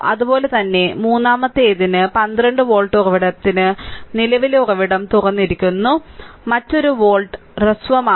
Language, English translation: Malayalam, Similarly for the third one the 12 volt source is there current source is open and another volt is shorted right